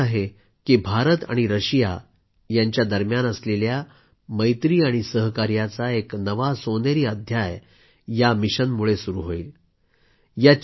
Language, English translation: Marathi, I am confident that this would script another golden chapter in IndiaRussia friendship and cooperation